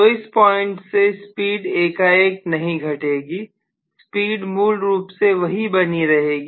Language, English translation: Hindi, So from this point the speed would not decrease abruptly so the speed will essentially remain almost the same